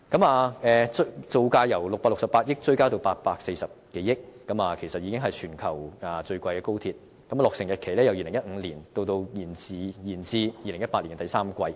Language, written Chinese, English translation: Cantonese, 項目造價由668億元追加至840多億元，其實已經是全球最昂貴的高鐵，而落成日期由2015年延至2018年第三季。, With the project cost jumping from 66.8 billion to over 84 billion XRL has already become the most expensive high - speed rail HSR link in the globe . And its commissioning date is postponed from 2015 to the third quarter of 2018